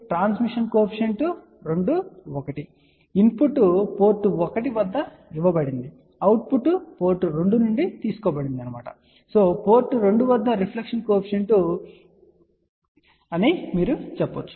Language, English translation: Telugu, Transmission coefficient, 2 1 that means, input is given at port 1 output is taken from port 2 and this is you can say reflection coefficient at port 2